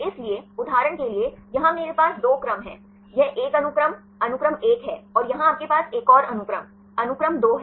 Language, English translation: Hindi, So, for example, here I have two sequences right, this is one sequence, sequence 1 and here you have another sequence, sequence 2 right